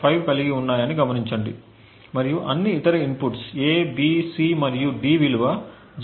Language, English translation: Telugu, 5 each and all other inputs A, B, C and D have a value of 0